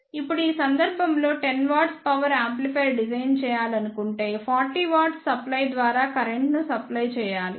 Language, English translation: Telugu, Now, in this case if suppose one want to design a 10 watt power amplifier then one has to supply 40 watt of power through supply